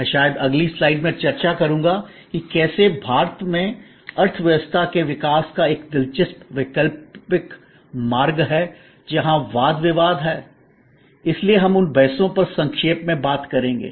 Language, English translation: Hindi, I will discuss that maybe in the next slide, that how India has an interesting alternate path of economy development and where there are number of debates, so we will briefly touch up on those debates